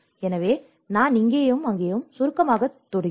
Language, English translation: Tamil, So, I just briefly touch upon here and there